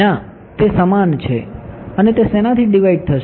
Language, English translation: Gujarati, No, it is the same and divided by what